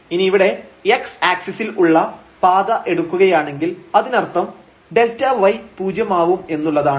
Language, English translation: Malayalam, And now if we take path here along the x axis; that means, the delta y this y will be set to 0